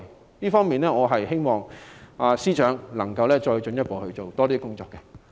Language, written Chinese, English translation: Cantonese, 在這方面，我希望司長能夠再進一步做更多工作。, In this regard I hope the Secretary can take a step forward and do more